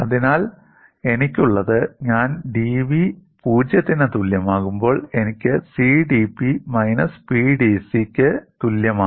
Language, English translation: Malayalam, So, what I have is, when I put dv equal to 0, I get CdP equal to minus PdC